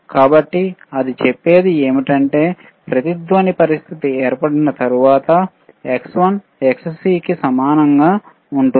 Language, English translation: Telugu, So, what it says is that, when the once the resonance condition occurs, right the xXll will be equal to xXc